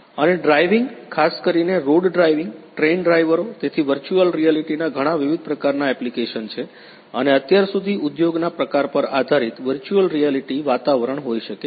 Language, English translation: Gujarati, And driving; driving particularly on road driving train drivers, so there are many different types of applications of virtual reality and so far depending on the type of industry the virtual reality environments can be created for the specific type of problem that is being addressed